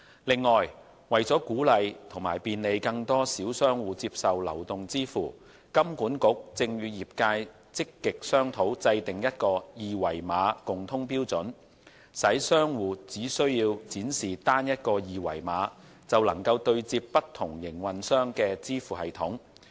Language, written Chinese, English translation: Cantonese, 另外，為鼓勵和便利更多小商戶接受流動支付，金管局正與業界積極商討制訂一個二維碼共通標準，使商戶只需展示單一個二維碼就能對接不同營運商的支付系統。, Furthermore for the purpose of encouraging and facilitating more small merchants to accept mobile payments HKMA is actively discussing with the industry the development of a common QR code standard which will enable merchants to connect to the payment systems of different operators by only displaying a single QR code